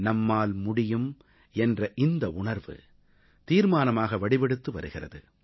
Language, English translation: Tamil, The spirit of 'can do', is emerging as a new resolve